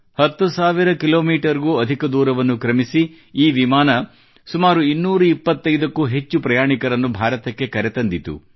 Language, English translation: Kannada, Travelling more than ten thousand kilometres, this flight ferried more than two hundred and fifty passengers to India